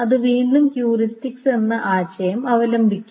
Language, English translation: Malayalam, So what it will try to do is again it resorts to the concept of heuristics